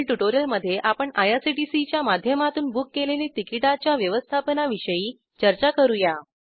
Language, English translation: Marathi, In the next tutorial we will discuss how to manage the tickets booked through IRCTC